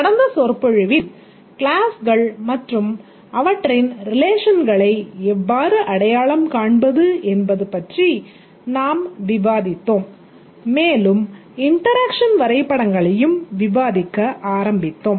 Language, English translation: Tamil, In the lecture, in the last lecture we discussed about how to identify the classes and their relations and also started to discuss the interaction diagrams